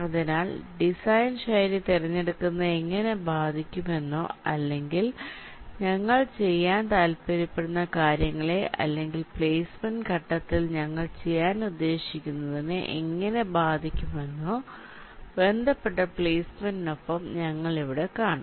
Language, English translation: Malayalam, so here we shall see that with respective placement, how the choice of the design style can impact or can can effect exactly what we want to do, or you you what we intend to do during the placement phase